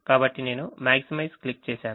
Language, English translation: Telugu, the maximization is clicked